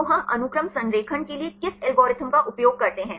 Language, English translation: Hindi, So, which algorithm we use for sequence alignment